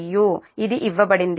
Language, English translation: Telugu, this is given